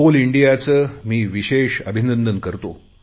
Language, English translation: Marathi, In this context, I would like to specially congratulate Coal India